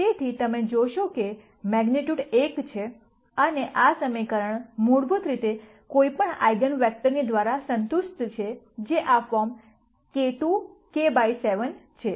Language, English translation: Gujarati, So, you see that the magnitude is 1 and also this equation is basically satisfied by any eigenvector which is of this form k to k by 7